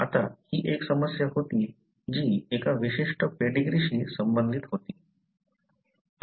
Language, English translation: Marathi, Now, this was a problem which was related to a particular pedigree